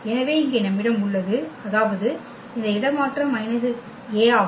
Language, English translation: Tamil, So, here we have; that means, this a transfer is minus of the A